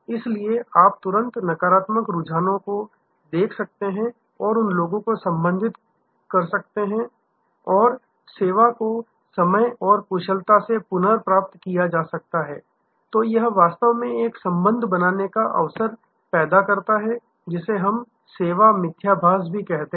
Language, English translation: Hindi, So, that you can immediately spot negative trends and address those and if the service can be recovered in time and efficiently, then it actually creates an opportunity to create a relationship, which we call service paradox